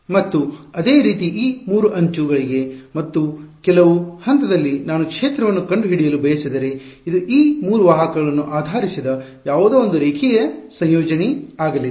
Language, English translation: Kannada, And similarly for these 3 edges and at some point over here if I want to find out the field, it is going to be a linear combination of something based on these 3 vectors